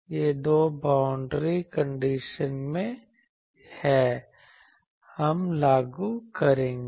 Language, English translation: Hindi, These are the 2 boundary conditions sorry we will enforce